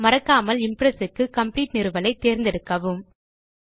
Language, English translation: Tamil, Remember, when installing, use theComplete option to install Impress